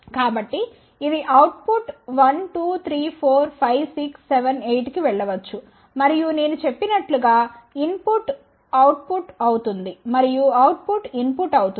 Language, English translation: Telugu, So, it can go to output 1, 2, 3, 4, 5, 6, 7, 8 and as I mentioned that input can become output and output can become input